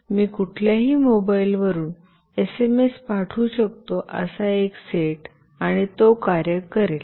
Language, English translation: Marathi, One set where I can send SMS from any mobile, and it will work